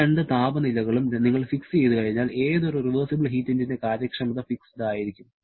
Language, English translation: Malayalam, Once you fix up these two temperatures, the efficiency of any reversible heat engine is fixed